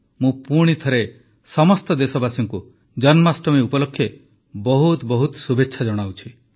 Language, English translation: Odia, I once again wish all the countrymen a very Happy Janmashtami